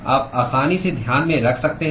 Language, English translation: Hindi, You can easily take into account